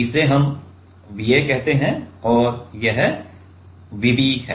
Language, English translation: Hindi, So, this let us say V a and this is V b